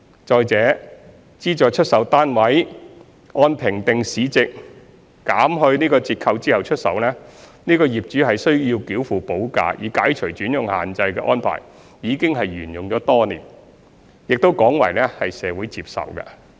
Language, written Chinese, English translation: Cantonese, 再者，資助出售單位按評定市值減去折扣後出售，業主須繳付補價以解除轉讓限制的安排已沿用多年，廣為社會接受。, Furthermore that SSFs are sold at a discount of the assessed market value and owners are required to pay premium to lift the alienation restrictions is a well - established arrangement which is widely accepted by society